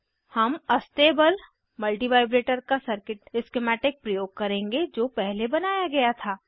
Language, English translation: Hindi, I will use the circuit schematic of Astable multivibrator which was created earlier